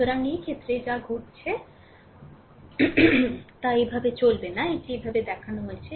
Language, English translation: Bengali, So, in this case, what will happen not going not going like this, the way it is shown